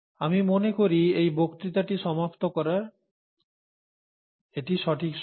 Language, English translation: Bengali, I think this is right time to close this lecture